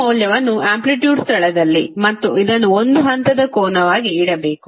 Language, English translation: Kannada, You have to just simply put this value in place of amplitude and this as a phase angle